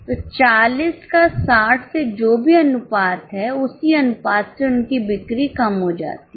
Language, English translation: Hindi, So whatever is a proportion of 40 to 63 same by the same proportion their sales comes down